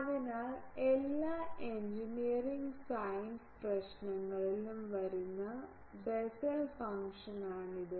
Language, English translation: Malayalam, So, this is the Bessel function which comes in all engineering science problems